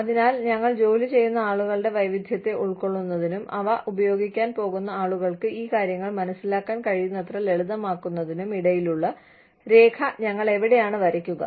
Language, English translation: Malayalam, So, where do we draw the line between, accommodating the diversity of people, we employ, and making these things, simple enough for people, who are going to use them, to understand these things